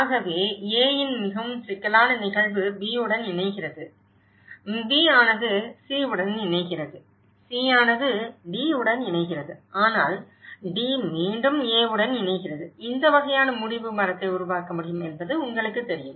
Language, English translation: Tamil, So, it’s all about a very complex phenomenon of A is linking to B and B is linking to C, C is linking to D but D is again linking to A, you know this kind of problem tree could be developed